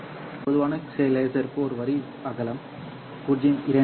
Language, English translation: Tamil, A typical laser has a line width of 0